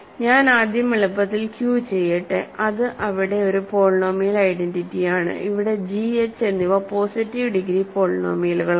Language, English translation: Malayalam, So, let me just first do Q for simplicity, it is a polynomial identity, where g and h are positive degree polynomials